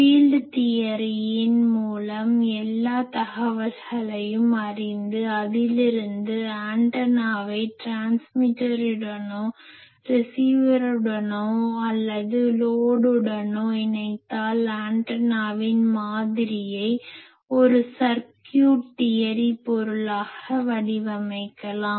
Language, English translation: Tamil, Once we have known that field theory gives us all the information’s and from that, if required when we are connecting the antenna with a transmitter, or when we are connecting the antenna with a receiver, or load we can model the antenna as an circuit theory object